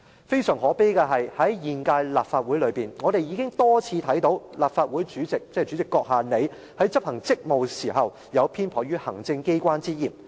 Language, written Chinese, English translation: Cantonese, 非常可悲的是，在現屆立法會內，我們已多次看到立法會主席——即主席閣下，你——在執行職務時，有偏頗行政機關之嫌。, It is extremely lamentable that during the current - term Legislative Council we have seen the President of the Legislative Council―that is you the President―repeatedly show bias in favour of the executive in performing his duties